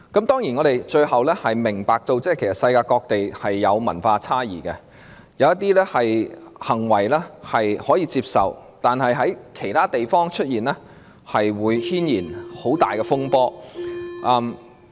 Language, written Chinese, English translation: Cantonese, 當然，我們明白世界各地有文化差異，一些行為在本地可以接受，但是在其他地方出現，會引起很大風波。, Certainly we understand that there are cultural differences around the world . While some acts are acceptable in Hong Kong they may cause an outcry elsewhere